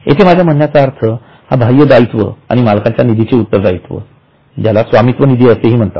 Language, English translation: Marathi, Here I mean an external liability or by the owners which is called as owners one